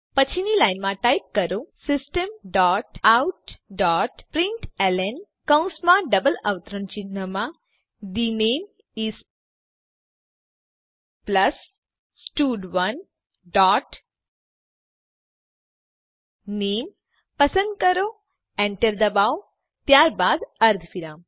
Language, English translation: Gujarati, Next line type System dot out dot println within brackets and double quotes The name is, plus stud1 dot select name press enter then semicolon